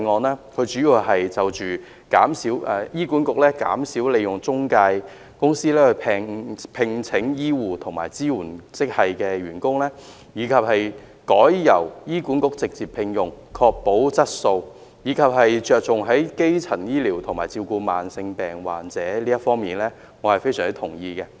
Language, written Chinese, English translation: Cantonese, 她主要是建議醫院管理局減少利用中介公司聘請醫護和支援職系人員，逐步改由醫管局直接聘用，從而確保質素，並着重基層醫療的發展和對慢性疾病患者的照顧，對於這些，我是非常同意的。, She mainly proposed to reduce the employment of medical nursing and supporting personnel through intermediaries and progressively employ and train such personnel by the Hospital Authority HA direct instead thereby ensuring service quality . She also focused on primary care development and the caring of patients with chronic illnesses diseases . I am very much in agreement with her on all these issues she has touched on